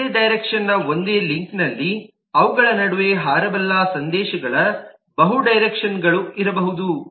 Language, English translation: Kannada, on a single link of one direction there could be multiple directions of messages that can fly between them